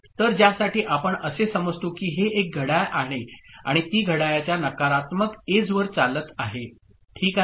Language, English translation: Marathi, So for which we consider that this is the clock and it is getting triggered at negative edge of the clock